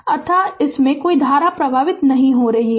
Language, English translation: Hindi, So, no current is flowing through this